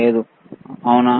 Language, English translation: Telugu, No, is it